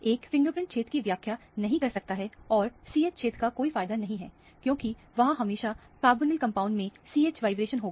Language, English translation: Hindi, One cannot interpret the fingerprint region and the CH region is of no use, because there will always be CH vibration in organic compounds